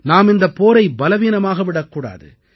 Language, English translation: Tamil, We must not let this fight weaken